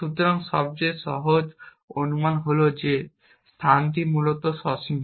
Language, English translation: Bengali, So, the simplest assumption is that the space is finite essentially